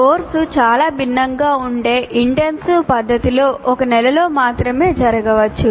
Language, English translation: Telugu, The course may happen only in one month in an intensive fashion